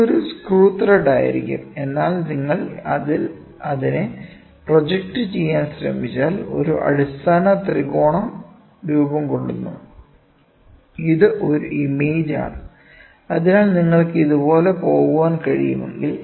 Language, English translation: Malayalam, This will be a screw thread, but if you try to project at it forms a fundamental triangle, it is an image so, if you can go like this